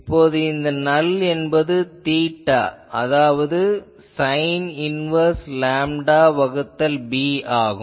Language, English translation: Tamil, So, now the null will be theta is sin inverse lambda by b